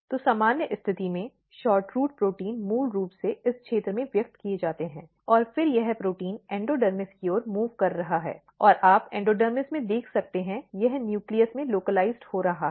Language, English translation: Hindi, So, in normal condition SHORTROOT proteins are basically expressed in this region, and then it is protein is moving to the endodermis and you can see in endodermis, it is getting localized to the nucleus